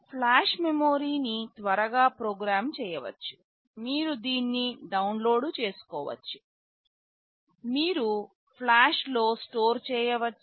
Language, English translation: Telugu, Flash memory can be programmed on the fly, you can download it, you can store in flash